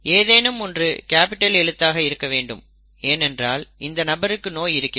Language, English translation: Tamil, at least one has to be capital because the person is showing the disease